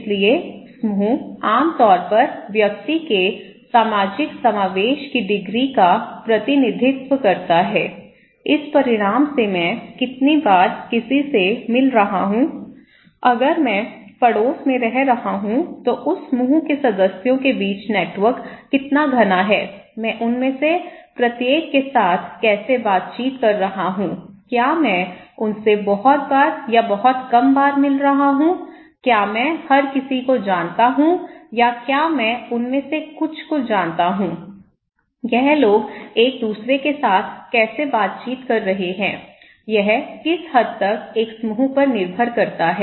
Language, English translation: Hindi, So, group generally represent the degree of social incorporation of the individual, this result how often I am meeting someone, how dense is the network between the members of that group if I am living in the neighbourhood, how I am interacting with each of them, am I meeting them very frequently or very rarely, do I know everyone or do I know some of them so, how this people are interacting with each other, what extent it depends on a group, okay